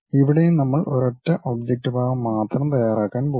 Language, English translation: Malayalam, Here also we are going to prepare only one single object part